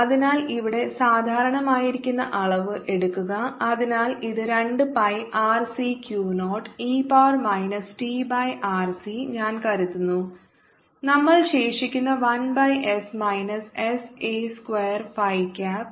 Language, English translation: Malayalam, so this is mu naught by two pi r c q naught e to the power minus t by r c is common, i think, and this we left with one by s minus s by q square phi cap